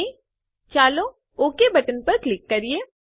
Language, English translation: Gujarati, And let us click on the Ok button